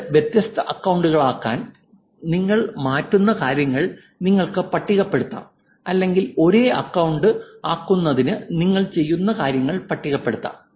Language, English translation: Malayalam, You could do list on things that you will change to make it to different account or list on things that you will do to make it the same account